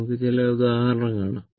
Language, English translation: Malayalam, We will see some example